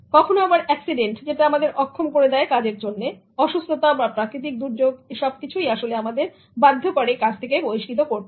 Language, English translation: Bengali, Sometimes accident that makes one inadequate for the job, ill health, natural calamity, all these things can actually make your pace reduced forcibly